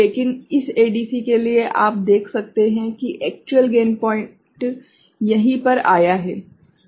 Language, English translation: Hindi, But, for this ADC, you can see that the actual gain point has come over here right